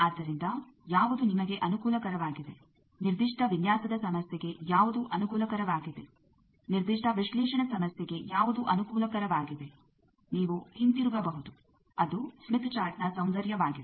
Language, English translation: Kannada, So whichever is convenient for you, whichever is convenient for a particular design problem, whichever is convenient for a particular analysis problem, you can revert to that is the beauty of smith chart